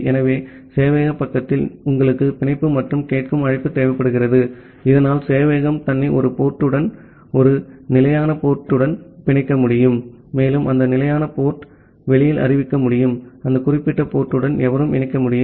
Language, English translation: Tamil, So, at the server side, you require the bind and the listen call so that the server can bind itself to a port to a fixed port and it can announce that fixed port to the outside that anyone can connect to that particular port by creating a socket